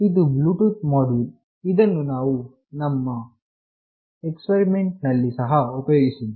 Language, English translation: Kannada, This is the Bluetooth module that we have also used it in our experiment ok